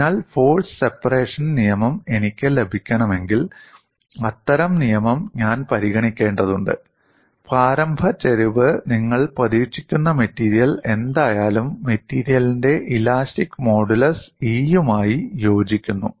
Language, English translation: Malayalam, So you need to have the force separation law to have an initial slope that corresponds to the elastic modulus E